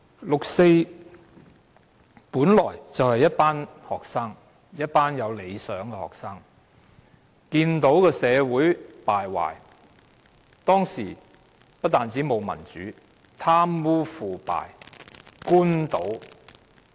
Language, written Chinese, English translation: Cantonese, 六四本來是一群學生，一群有理想的學生，看到當時社會敗壞，不但沒有民主，而且貪污、腐敗、官倒。, The 4 June incident all began with a group of students with vision who noticed the dreadful conditions of society . Apart from having no democracy there were problems of corruption underhand dealings and official profiteering